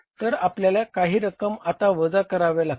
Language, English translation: Marathi, Now we will have to for subtracting